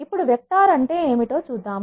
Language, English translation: Telugu, Let us now first see, what is a vector